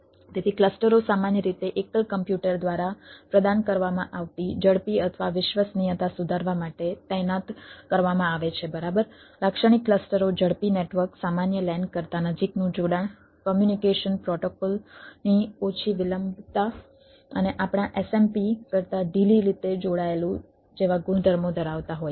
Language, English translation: Gujarati, so clusters are usually deployed to improve speed or reliability over ah that provided by the single computer, right, typical clusters are like having the properties of the ah network: faster, closer connection ah, then a typical lan, low latency of communication protocol and loosely coupled than our smps